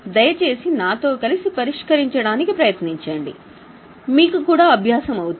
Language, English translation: Telugu, Please try to solve with me so that you also get the practice